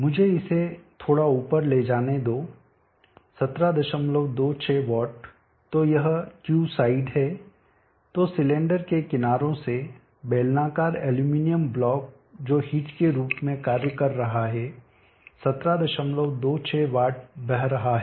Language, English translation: Hindi, 26 watts so this is Q side so from the sides of the cylinder cylindrical aluminum block which is acting as a heat 17